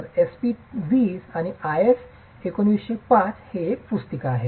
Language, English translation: Marathi, So, SP20 is a handbook on IS1905